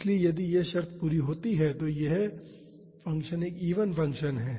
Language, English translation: Hindi, So, if this condition is satisfied, this function is an even function